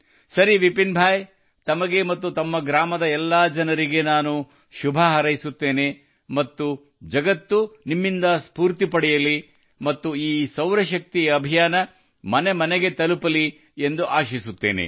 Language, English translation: Kannada, Fine, Vipin Bhai, I wish you and all the people of your village many best wishes and the world should take inspiration from you and this solar energy campaign should reach every home